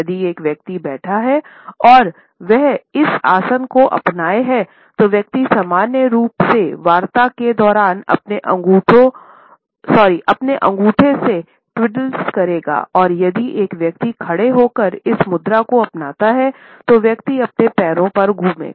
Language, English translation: Hindi, If a person is sitting while he or she is adopted this posture, the person normally twiddles with the thumb during talks and if a person is a standing adopting this posture, the person rocks on the balls of his feet